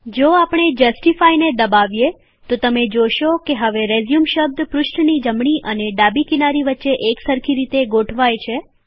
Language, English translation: Gujarati, If we click on Justify, you will see that the word RESUME is now aligned such that the text is uniformly placed between the right and left margins of the page